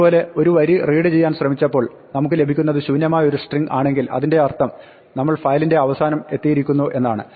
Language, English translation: Malayalam, Similarly, if we try to read a line and we get empty string it means we reached the end of file